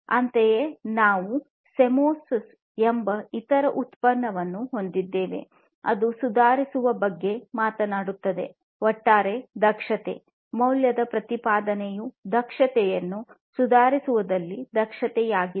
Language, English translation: Kannada, Similarly, we have the other product the Semios, which basically talks about improving the efficiency overall, the value proposition is efficiency in improving the efficiency